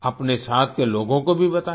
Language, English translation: Hindi, Inform those around you too